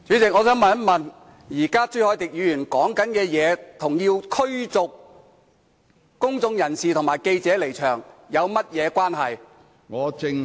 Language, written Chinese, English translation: Cantonese, 主席，我想問的是，朱凱廸議員發言的內容與要求新聞界及公眾人士離場有何關係？, President may I ask what relevance the contents of Mr CHU Hoi - dicks speech have to the motion for the withdrawal of members of the press and of the public?